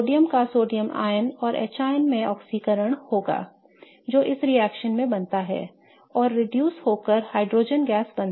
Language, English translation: Hindi, So, sodium will get oxidized to an A plus and H plus which is formed in this reaction is reduced to form hydrogen gas H2